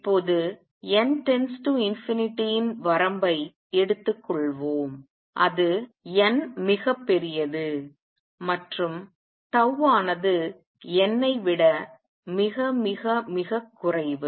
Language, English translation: Tamil, Now let us take the limit of n tending to infinity that is n very large and tau much much much less than n